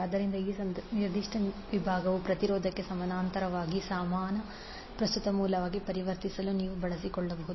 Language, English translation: Kannada, So this particular segment you can utilize to convert into equivalent current source in parallel with resistance